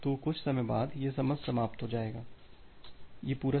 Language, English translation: Hindi, So, after some time, this timeout will for 2 will occur